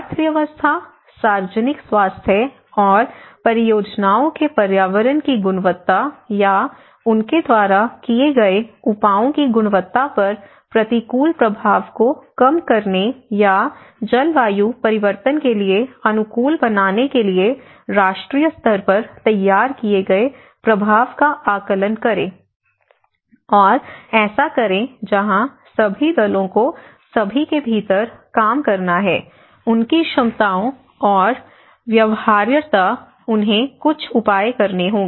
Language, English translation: Hindi, And make impact assessments formulated and determined nationally with a view to minimizing adverse effects on the economy, public health and quality of environment of projects or measures undertaken by them or adapt to the climate change so, this is where all parties has to work within all their capabilities and feasibilities, they have to take some measures and work accordingly